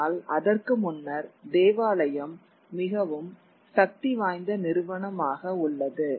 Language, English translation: Tamil, But before that the church remains a very, very powerful institution